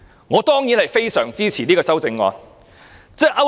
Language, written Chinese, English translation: Cantonese, 我當然會大力支持這項修正案。, I strongly support this amendment of course